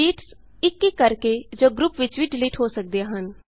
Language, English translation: Punjabi, Sheets can be deleted individually or in groups